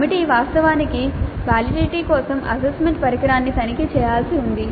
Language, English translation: Telugu, So the committee is supposed to actually check the assessment instrument for validity